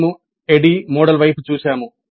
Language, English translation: Telugu, We took looked at one of the models ADI